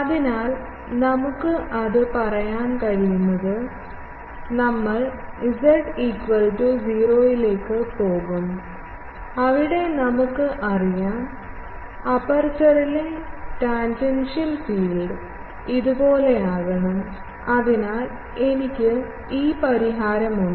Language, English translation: Malayalam, So, what we can say that, we will go to z is equal to 0 and there we know that, we have the tangential field on the aperture as this and this should be equal to; so, I have this solution, I have this solution